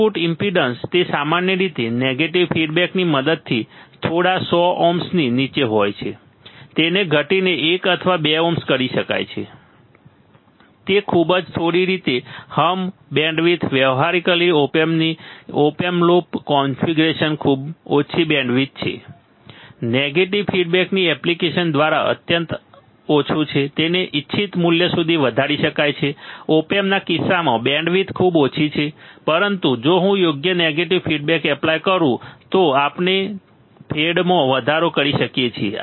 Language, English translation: Gujarati, Output impedance, it is typically under few hundred ohms with the help of negative feedback it can be reduced to one or 2 ohms very small way hmm band width band width of practical op amp is an in open loop configuration is very small band width is extremely small by application of negative feedback, it can be increased to the desired value right band width is very small in case of op amp, but if I apply a proper negative feedback we can increase the fed